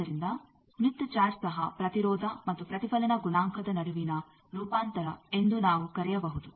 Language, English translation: Kannada, So we can call that smith chart is also a transformation between impedance and reflection coefficient